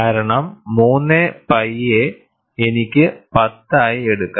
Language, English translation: Malayalam, Because 3 pi, I can take it as 10